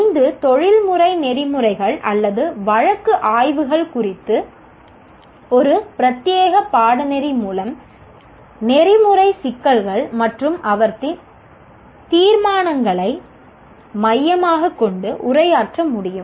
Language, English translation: Tamil, PO5 can be addressed through a dedicated course on professional ethics and our case studies with focus on ethical issues and their resolutions